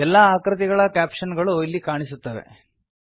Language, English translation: Kannada, All the figure captions will appear here